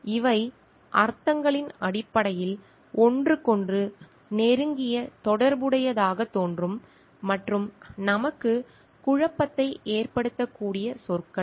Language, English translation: Tamil, These are terms which appears to be very closely related to each other in terms of meanings and maybe confusing to us